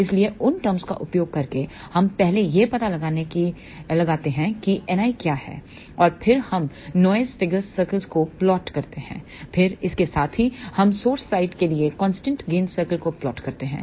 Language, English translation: Hindi, So, by using those terms we first find out what is N i, and then we plot noise figure circles, then along with that we plot constant gain circle for the source side